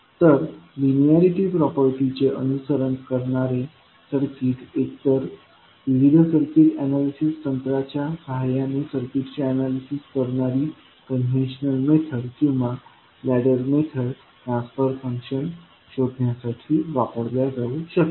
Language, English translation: Marathi, So, the circuit which follows the linearity property that is a circuit can be used to find out the transfer function using a either the conventional method where you analyze the circuit with the help of various circuit analysis technique or you can use the ladder method